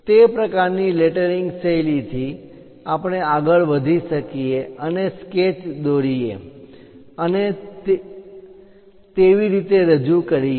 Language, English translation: Gujarati, So, with that kind of lettering style, we can go ahead and draw sketches and represent them